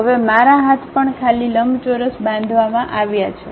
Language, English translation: Gujarati, Now, my hands are also empty rectangle has been constructed